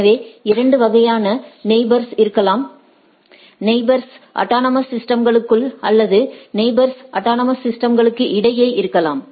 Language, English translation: Tamil, So, there are there can be two type of neighbors, the neighbors within the autonomous system and neighbor across the autonomous systems